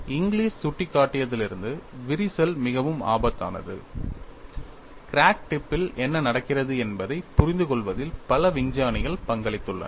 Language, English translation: Tamil, Ever since Inglis pointed out cracks are very dangerous, several scientists have contributed in understanding what happens at the crack tip